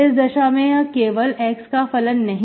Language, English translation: Hindi, So if I do it with x, it is not function of x